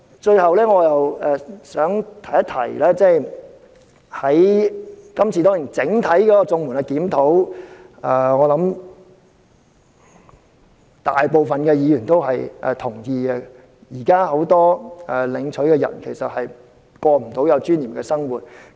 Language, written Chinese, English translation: Cantonese, 最後，我想提出，今次是對整體綜援的檢討，我相信大部分議員也認同現時很多領取綜援者均無法過有尊嚴的生活。, In closing I wish to point out that this is an overall review of CSSA . I believe most Members will agree that now many CSSA recipients cannot live in dignity